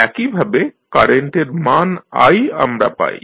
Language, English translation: Bengali, Similarly, for the value of current i which you get here